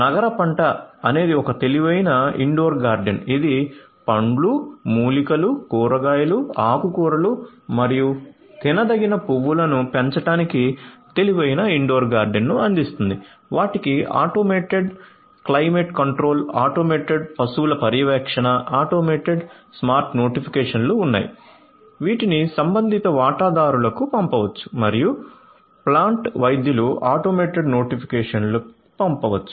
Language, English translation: Telugu, CityCrop is an intelligent indoor garden that provides intelligent indoor garden to grow fruits, herbs, vegetables, greens and edible flowers, they have implementation of automated climate control, automated livestock, monitoring automated you know smart notifications which can be sent to the concerned stakeholders and also to the plant doctors automated notifications would be sent